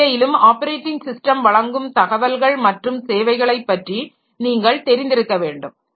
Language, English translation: Tamil, Then even in that case you need to know the details and services provided by the operating system